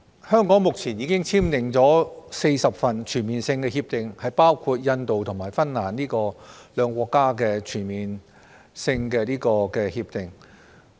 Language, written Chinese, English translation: Cantonese, 香港目前已經簽訂了40份全面性避免雙重課稅協定，包括分別與印度和芬蘭簽訂的兩份全面性協定。, At present Hong Kong has entered into 40 Comprehensive Avoidance of Double Taxation Agreements CDTAs including the two CDTAs signed with India and Finland